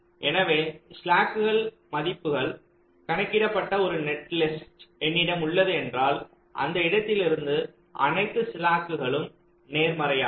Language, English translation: Tamil, so once i have a netlist with this slack values calculated and this slacks are positive, to start from that point